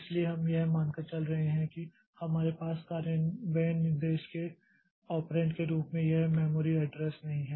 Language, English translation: Hindi, So, we assuming that we don't have this memory address as the operand of the increment instruction